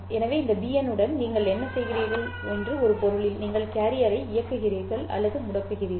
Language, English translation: Tamil, So in a sense, what you are doing is with this BN, you are turning on or turning off the carrier, right